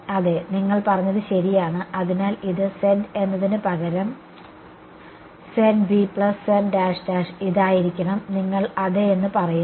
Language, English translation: Malayalam, Yeah, so you are right; so, this instead of z this should be z B plus z double prime that is what you are saying yeah